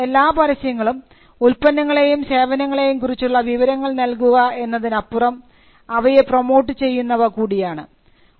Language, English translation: Malayalam, Because many advertisements go beyond supplying information about the product, they also go to promote the product